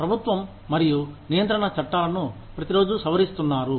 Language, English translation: Telugu, Government and regulation laws, are being amended, every day